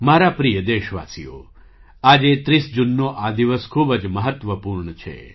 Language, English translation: Gujarati, My dear countrymen, today, the 30th of June is a very important day